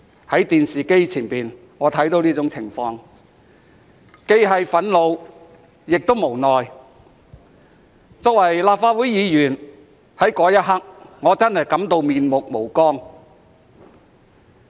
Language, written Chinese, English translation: Cantonese, 在電視機前的我看到這種情況，既憤怒亦無奈；作為立法會議員，我在那一刻真的感到面目無光。, When I saw this situation in front of the television I felt both angry and helpless . As a Member of the Legislative Council I really felt disgraced at that moment